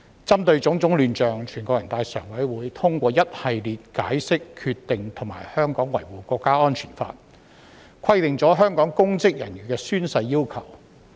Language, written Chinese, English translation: Cantonese, 針對種種亂象，全國人大常委會通過一系列解釋、決定和《香港國安法》，就香港公職人員的宣誓要求作出規定。, In response to all kinds of chaos the Standing Committee of the National Peoples Congress NPCSC adopted the Interpretation the Decision and the National Security Law to stipulate the requirements for oath - taking by public officers in Hong Kong